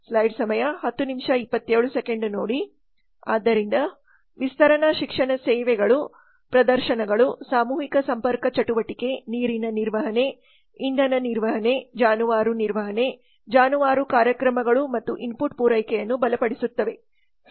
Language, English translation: Kannada, so the extension education services have the demonstrations mass contact activity have the water management energy management livestock management livestock programs and the strengthening input supply